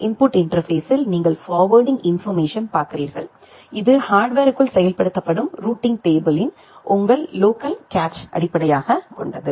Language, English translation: Tamil, In the input interface you look into the forwarding information base your local cache of the routing table which is implemented inside the hardware